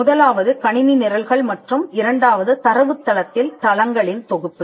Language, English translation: Tamil, The first one is computer programs and the second one is data bases compilation of database